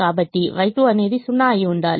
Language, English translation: Telugu, therefore y two has to be zero